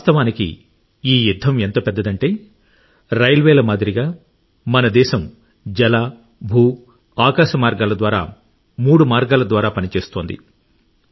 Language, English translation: Telugu, In fact, this battle is so big… that in this like the railways our country is working through all the three ways water, land, sky